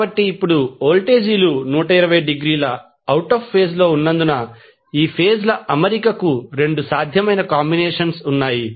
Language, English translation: Telugu, So, now, since the voltages are 120 degree out of phase, there are 2 possible combinations for the arrangement of these phases